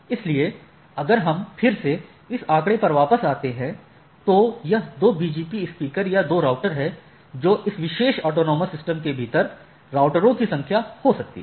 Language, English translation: Hindi, So, if we again come back to this figure, so there is IBGP, this is the internal and these are the two BGP speaker or two routers which there can be n number of routers within this particular autonomous systems